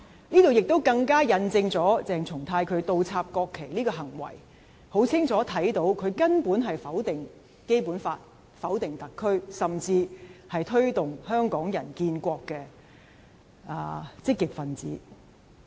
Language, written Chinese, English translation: Cantonese, 這進一步印證，從鄭松泰倒插國旗的行為，可以清楚看到他根本是否定《基本法》，否定特區，甚至是推動香港人建國的積極分子。, It further bears testimony to from his act of inverting the national flags his unquestionable denial of the Basic Law and SAR; he can even be considered an activist promoting the formation of a nation by Hong Kong people